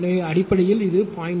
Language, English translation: Tamil, So, basically it is 0